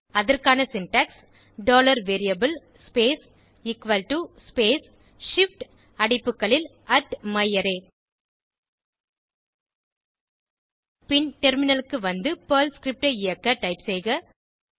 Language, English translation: Tamil, This syntax for this is $variable space = space shift open bracket @myArray close bracket Then switch to the terminal and execute the Perl script